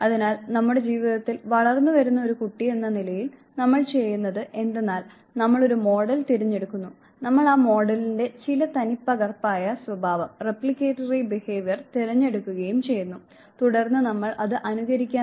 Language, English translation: Malayalam, So, what we do in our life is as a growing child we select a model, we pick and choose certain replicatory behavior of the model, and then we start imitating it